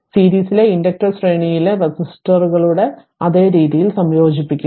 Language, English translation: Malayalam, So, inductor in series are combined in exactly the same way as resistors in series right